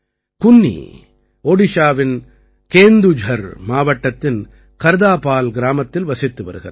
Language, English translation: Tamil, Kunni lives in Kardapal village of Kendujhar district of Odisha